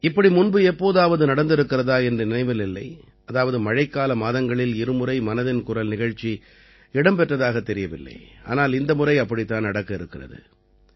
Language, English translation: Tamil, I don't recall if it has ever happened that in the month of Sawan, 'Mann Ki Baat' program was held twice, but, this time, the same is happening